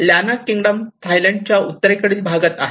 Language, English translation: Marathi, So the Lanna Kingdom is in a northern part of the Thailand